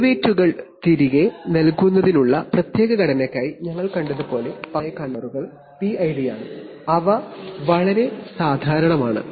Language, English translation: Malayalam, As we have seen for special structure for feeding back derivatives but generally the controllers are PID they are very extremely common